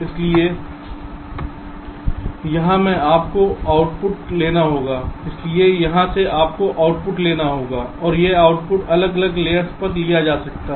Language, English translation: Hindi, so from here you have to take an output, and this output can be taken on different layers